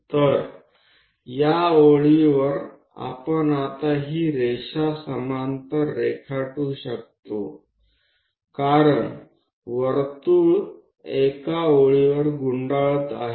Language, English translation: Marathi, So, this line on this, we can now draw this line parallel to that because the circle is rolling on a line